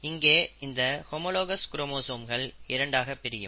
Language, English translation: Tamil, Now homologous chromosome is nothing but the pair